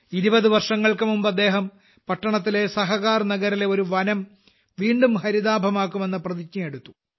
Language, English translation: Malayalam, 20 years ago, he had taken the initiative to rejuvenate a forest of Sahakarnagar in the city